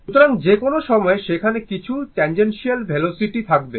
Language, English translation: Bengali, So, at any point a some tangential velocity will be there